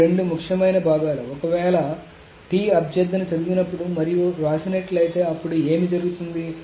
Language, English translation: Telugu, So these are the two important parts if that when T requests a read and write then what happens essentially